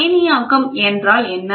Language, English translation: Tamil, What is ionization